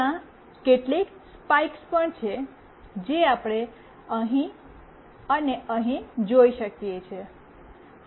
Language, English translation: Gujarati, There are certain spikes as well we can see here and here